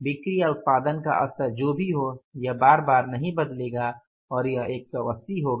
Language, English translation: Hindi, Whatever the level of production and sales you have that will not change again it will be 180